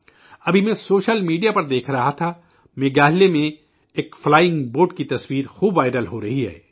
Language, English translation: Urdu, I have been watching on social media the picture of a flying boat in Meghalaya that is becoming viral